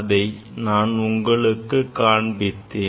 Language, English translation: Tamil, That is what I have shown here